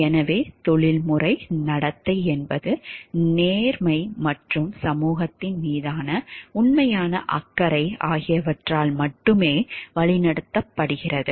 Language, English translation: Tamil, So, professional conduct is guided solely by a sense of fairness and genuine concern for society